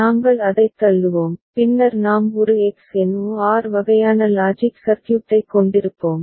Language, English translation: Tamil, And we’ll push it and then we will be having a XNOR kind of logic circuit which we had seen before ok